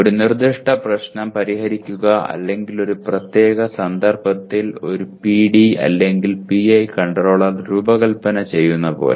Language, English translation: Malayalam, Like solving a specific problem or designing a PD or PI controller in a specific context